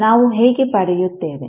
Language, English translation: Kannada, How we will get